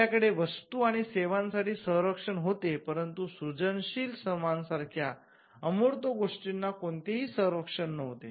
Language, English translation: Marathi, We had protection for goods and services, but there was no protection for the intangibles like creative labour